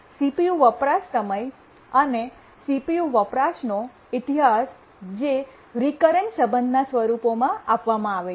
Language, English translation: Gujarati, The history of CPU uses time is given in form of a recurrence relation